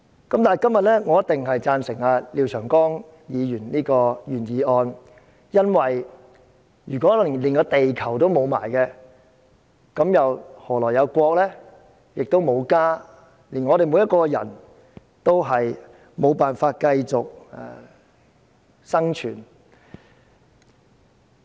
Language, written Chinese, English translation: Cantonese, 今天，我一定贊成廖長江議員的原議案，因為如果連地球都失去，何來有"國"，更沒有"家"，我們所有人都沒法繼續生存。, Today I am surely in support of Mr Martin LIAOs original motion because if our earth is lost how can we have a country or even a home? . Nobody can survive anymore